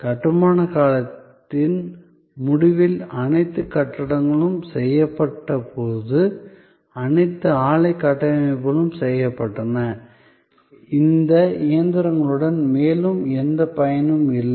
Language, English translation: Tamil, At the end of the construction period, when all the buildings were done, all the plant structures were done, these machines had no further use